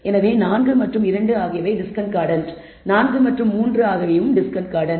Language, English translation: Tamil, So, 4 and 2 are discordant 4 and 3 are discordant